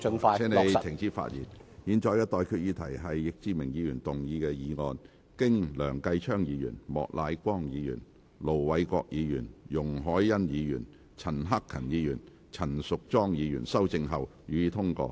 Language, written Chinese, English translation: Cantonese, 我現在向各位提出的待決議題是：易志明議員動議的議案，經梁繼昌議員、莫乃光議員、盧偉國議員、容海恩議員、陳克勤議員及陳淑莊議員修正後，予以通過。, I now put the question to you and that is That the motion moved by Mr Frankie YICK as amended by Mr Kenneth LEUNG Mr Charles Peter MOK Ir Dr LO Wai - kwok Ms YUNG Hoi - yan Mr CHAN Hak - kan and Ms Tanya CHAN be passed